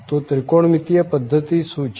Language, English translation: Gujarati, So, what is the trigonometric system